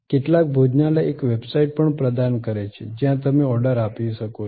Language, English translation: Gujarati, Some restaurants are even providing a website, where you can place the order